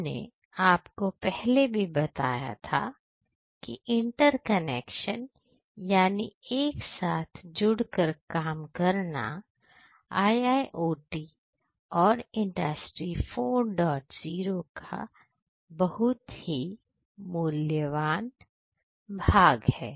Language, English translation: Hindi, So, interconnection as I told you earlier is a very important component of IIoT and Industry 4